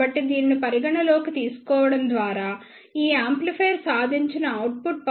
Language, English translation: Telugu, So, by considering this the output power achieved by this amplifier is around 44